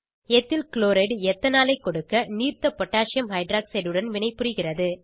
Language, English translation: Tamil, Ethyl chloride reacts with Aqueous Potassium Hydroxide to give Ethanol